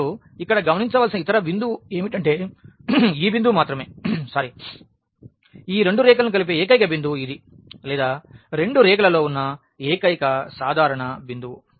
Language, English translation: Telugu, And, the other point here to be noticed that this is the only point, this is the only point where these 2 lines intersect or this is the only common point on both the lines